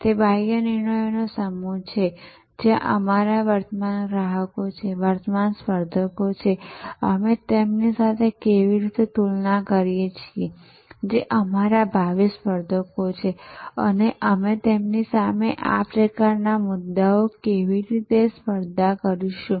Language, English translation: Gujarati, And there are sets of a external decisions, who are our current customers, are current competitors, how do we compare with them who be our future competitors and how are we going to compete against them these kind of issues